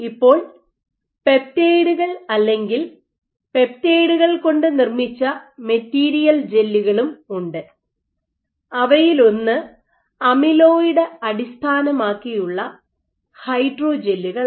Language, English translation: Malayalam, Nowadays you also have peptides or materials gels made of peptides and one of them is amyloid based hydrogels